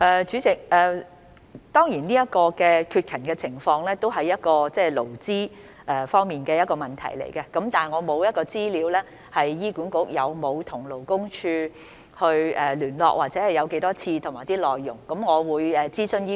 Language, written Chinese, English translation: Cantonese, 主席，現時提到的缺勤情況當然是勞資雙方的問題，但我手邊沒有關於醫管局曾否與勞工處聯絡、聯絡次數及討論內容的資料。, President the absence from duty that we are now discussing is of course an issue between the employer and its employees . Yet I do not have at hand the information on whether HA has contacted LD the number of such contacts and the matters discussed